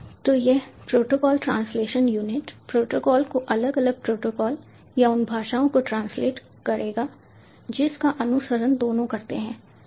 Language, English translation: Hindi, so this protocol translation unit will translate the protocols, separate protocols, or the languages that are followed by both